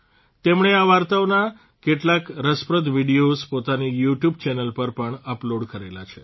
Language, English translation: Gujarati, She has also uploaded some interesting videos of these stories on her YouTube channel